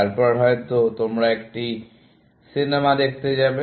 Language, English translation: Bengali, Then, maybe, you will go and see a movie